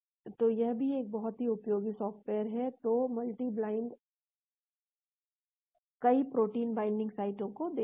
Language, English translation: Hindi, So, this is also a very useful software, so this multi bind looks at several protein binding sites